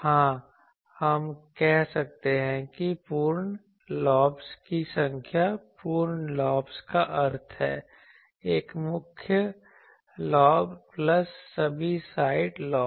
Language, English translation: Hindi, Yes, we can say that number of full lobes full lobes means, number of full lobes full lobes means one main lobe plus all side lobes